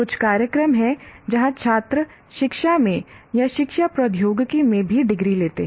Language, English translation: Hindi, There are some programs where students do take a degree which consists of like a degree in education or also in education technology